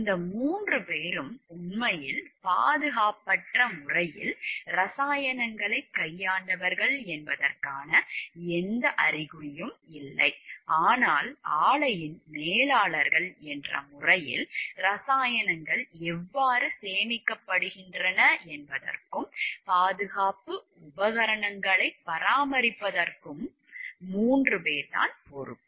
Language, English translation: Tamil, There was no indication that these 3 were the ones who actually handled the chemicals in an unsafe manner, but as managers of the plant the 3 were ultimately responsible for how the chemicals were stored and for the maintenance of the safety equipment